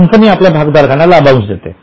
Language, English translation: Marathi, Now company pays dividend to shareholders